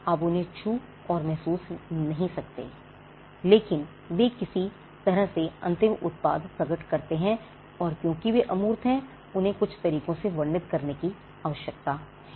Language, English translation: Hindi, You cannot touch and feel them, but they manifest in the end product in some way and because they are intangible, they need to be described by some means